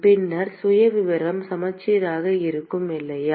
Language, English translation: Tamil, Then the profile will be symmetric, right